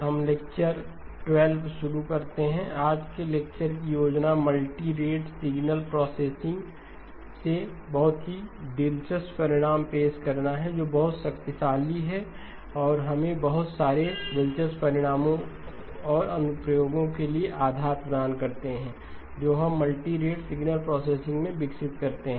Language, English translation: Hindi, We begin lecture 12, the plan for today's lecture is to introduced some very interesting results from multirate signal processing which you will find are very powerful and also give us the basis for a lot of the interesting results and applications that we develop in multirate signal processing